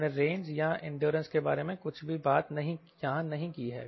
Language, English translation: Hindi, ok, we have not talked about anything or range or endures here